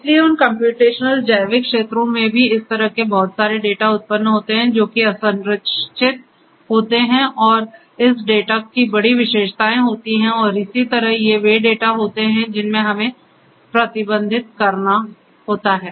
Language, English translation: Hindi, So, those computational biological fields also generate lot of these kind of data which are unstructured and having this big data characteristics and so on these are the data that we have to be managed